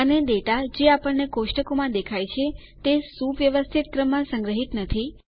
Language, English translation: Gujarati, And, the data that we see in tables are not stored exactly in the same orderly manner